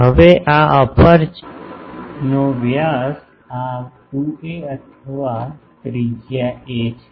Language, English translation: Gujarati, Now, the this diameter of this aperture is 2a or radius is a